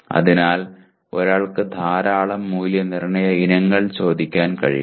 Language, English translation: Malayalam, So, one should be able to ask a large number of assessment items